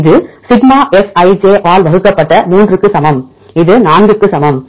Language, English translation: Tamil, That is equal to 3 divided by sigma Fij this equal to 4